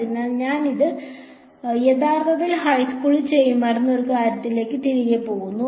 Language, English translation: Malayalam, So, this is actually goes back to something which would have done in high school